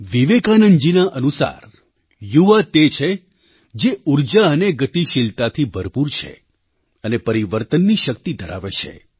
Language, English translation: Gujarati, According to Vivekanand ji, young people are the one's full of energy and dynamism, possessing the power to usher in change